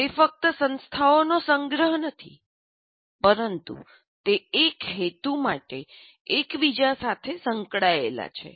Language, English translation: Gujarati, And they're not mere collection of entities, but they're interrelated for a purpose